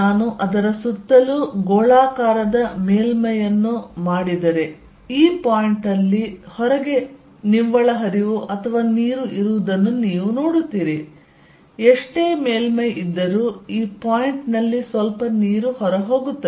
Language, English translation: Kannada, If I make a spherical surface around it you see there is an net flow or water outside at this point no matter how small the surface, this point there will be some water going out